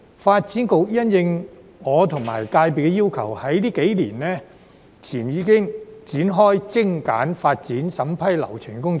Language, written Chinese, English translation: Cantonese, 發展局因應我和業界的要求，在數年前已展開精簡發展審批流程的工作。, At the request of the industry and me the Development Bureau has already started to streamline the approval procedures for developments a few years ago